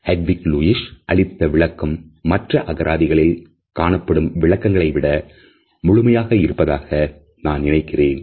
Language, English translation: Tamil, In all these definitions I think that the definition by Hedwig Lewis is by far more complete than the other dictionary definitions